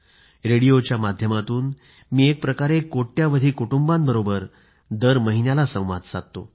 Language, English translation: Marathi, Through radio I connect every month with millions of families